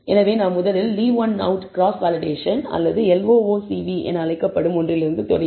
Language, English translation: Tamil, So, I will first start with, leave one out cross validation or what is called LOOCV